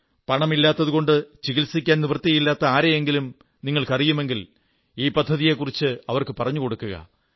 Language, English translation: Malayalam, If you know a poor person who is unable to procure treatment due to lack of money, do inform him about this scheme